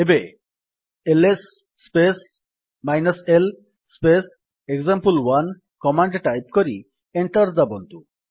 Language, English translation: Odia, Now type: $ ls space l space example1 and press Enter